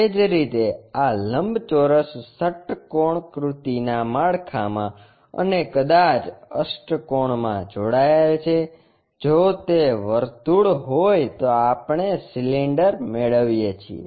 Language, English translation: Gujarati, Similarly, these rectangles connected in hexagonal framework and maybe in octagonal, if it is circle we get cylinders